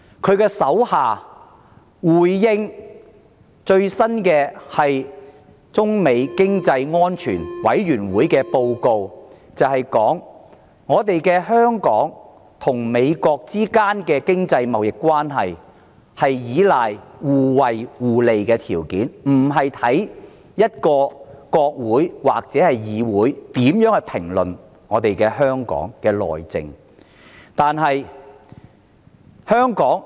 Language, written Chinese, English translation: Cantonese, 她的下屬在回應美中經濟與安全委員會的最新報告時，指出香港與美國之間的經濟貿易關係依賴的是互惠互利的條件，而非國會或議會對香港內政的評論。, Responding to the latest report by the United States - China Economic and Security Review Commission her subordinate remarked that the economic and trade relations between Hong Kong and the United States are not based on the views of a congress or parliament on Hong Kongs internal affairs but rather on mutually beneficial terms